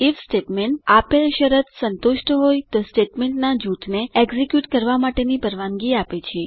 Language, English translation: Gujarati, The if statement allows us to execute a group of statements if a given condition is satisfied